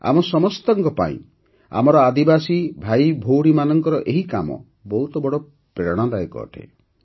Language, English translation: Odia, For all of us, these endeavours of our Adivasi brothers and sisters is a great inspiration